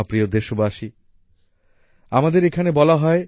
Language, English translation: Bengali, My dear countrymen, it is said here